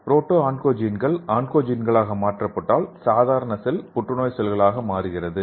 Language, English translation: Tamil, If the proto oncogenes is converted into oncogenes, the normal cell became a cancer cell